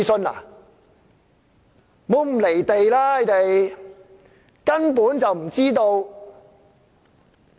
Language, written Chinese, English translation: Cantonese, 那些村民根本就不知道。, The villagers are simply not aware of the situation